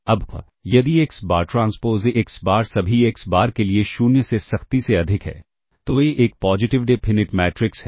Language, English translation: Hindi, Now, if xBar transpose AxBar is strictly greater than 0 for all xBar, then A is a positive definite matrix